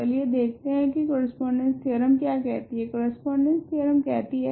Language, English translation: Hindi, Let us see what the correspondence theorem says, correspondence theorem says